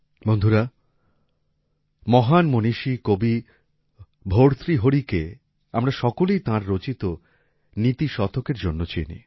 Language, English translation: Bengali, Friends, we all know the great sage poet Bhartrihari for his 'Niti Shatak'